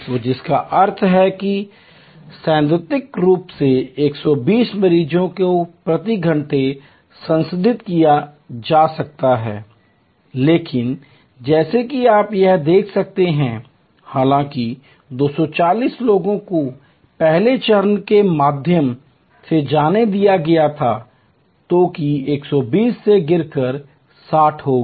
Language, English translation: Hindi, So, which means theoretically speaking 120 patients could be processed per hour, but as you can see here even though 240 people were let through the first step that drop to 120 that drop to 60